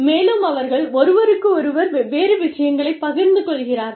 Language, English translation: Tamil, And, they share different things, with each other